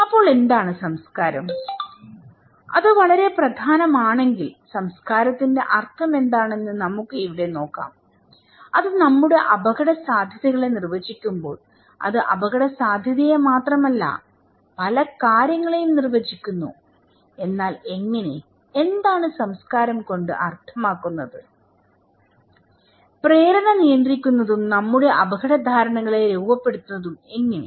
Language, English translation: Malayalam, So, what is culture then, if it is so important, let us look here that what is the meaning of culture, when it is defining our risk perceptions, not only risk perception, it defines many things but how, what is the meaning of culture and how the impulse control and shape our risk perceptions